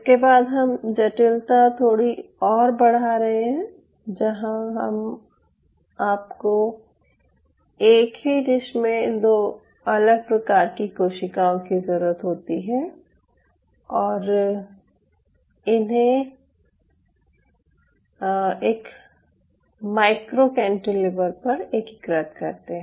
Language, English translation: Hindi, so having seen this, now we are opening a little bit more complexity where you needed to have two different cell type in a culture dish or integrate it on top of a micro cantilever